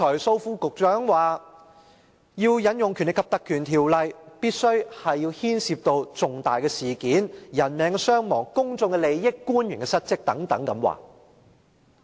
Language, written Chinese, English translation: Cantonese, 蘇副局長剛才表示，要引用《條例》，必須牽涉重大事件、人命傷亡、公眾利益、官員失職等。, Under Secretary Dr Raymond SO indicated just now that the Ordinance should only be invoked in case of a major incident involving casualties public interests and dereliction of duty on the part of officials